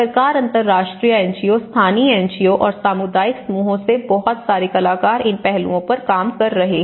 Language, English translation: Hindi, There is a lot of actors working from the government, international NGOs, local NGOs and the community groups which work on these aspects